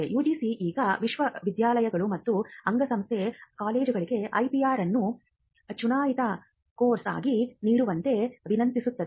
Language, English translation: Kannada, UGC now requests universities and affiliated colleges to provide IPR as elective course